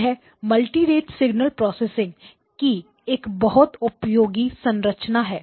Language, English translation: Hindi, And this is a very useful structure in multirate signal processing